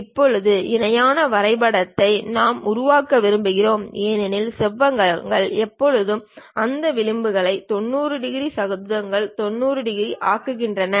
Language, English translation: Tamil, Now, parallelogram we would like to construct because rectangles always make those edges 90 degrees, squares also 90 degrees